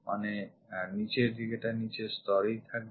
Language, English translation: Bengali, So, the bottom one comes at bottom level